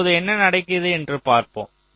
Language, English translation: Tamil, so now let us see what happens